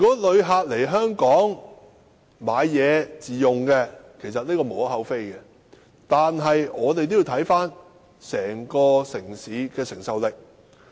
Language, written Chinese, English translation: Cantonese, 旅客來港購物自用是無可厚非的，但也要視乎城市整體的承受力。, It is understandable for visitors to shop at Hong Kong for self - consumption yet it depends on the receiving capability of the city as a whole